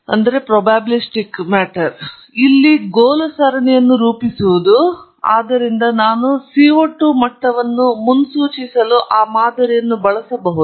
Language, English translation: Kannada, So, the goal here is to model the series, so that I can use that model for forecasting the CO 2 levels